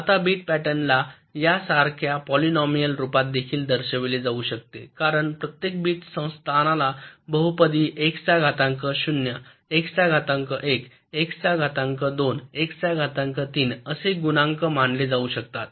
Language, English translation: Marathi, now bit pattern can be also be represented as a polynomial, like this: that every bit position can be regarded as the coefficient of a polynomial: x to the power zero, x to the power one, x to the power two, x to the power three, x to the power four and x to the power five